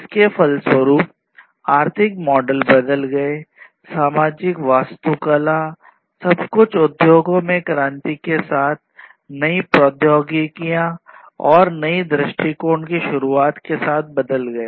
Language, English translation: Hindi, So, consequently what happened is the economic models changed, the social architecture, the social infrastructure, everything also changed with the revolution in the industries, with the introduction of new technologies and new approaches